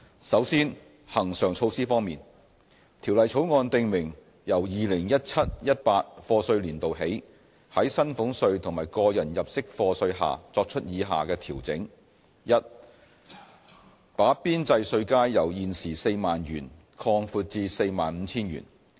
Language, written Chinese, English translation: Cantonese, 首先，恆常措施方面，條例草案訂明由 2017-2018 課稅年度起，在薪俸稅和個人入息課稅下作出以下調整： a 把邊際稅階由現時 40,000 元擴闊至 45,000 元。, First with regard to recurrent measures the Bill sets out the following adjustments to salaries tax and tax under personal assessment with effect from the year of assessment 2017 - 2018 a widening the marginal tax bands from 40,000 to 45,000